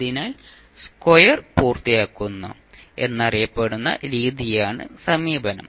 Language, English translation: Malayalam, So, the approach is the method which is known as completing the square